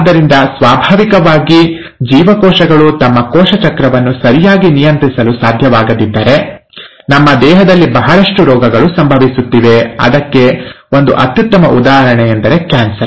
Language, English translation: Kannada, So naturally, if the cells are not able to regulate their cell cycle properly, we will have a lot of diseases happening in our body and one classic example is ‘cancer’